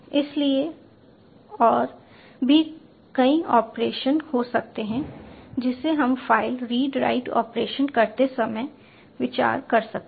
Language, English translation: Hindi, so they can be multiple operations we can consider while doing file read write operations